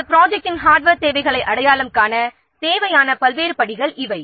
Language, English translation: Tamil, These are the different steps required to identify the hardware requirements of your project